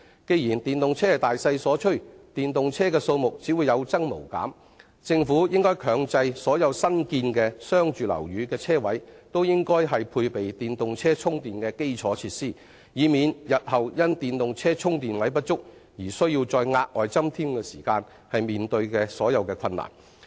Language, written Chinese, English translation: Cantonese, 既然電動車是大勢所趨，電動車數目只會有增無減，政府應強制所有新建的商住樓宇的車位均須配備電動車充電的基礎設施，以免除日後因電動車充電位不足而須再額外增添時的困難。, Since the use of EVs is an inevitable trend they will only keep growing in number . The Government should make the provision of EV charging infrastructure facilities mandatory for all parking spaces in newly completed commercialresidential buildings so as to avoid the difficulties in retrofitting charging facilities parking spaces when the available supply fails to meet the demand in the future